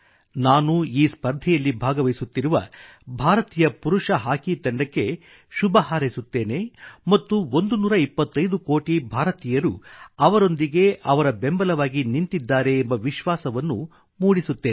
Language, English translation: Kannada, I convey my best wishes to our Men's Hockey Team for this tournament and assure them that 125 crore Indians are supporting them